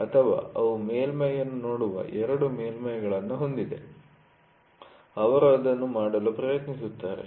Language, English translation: Kannada, So, or they have two surfaces looking at the surface, they try to do it